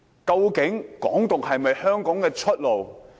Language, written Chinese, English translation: Cantonese, 究竟"港獨"是否香港的出路？, Is Hong Kong independence a way out for Hong Kong?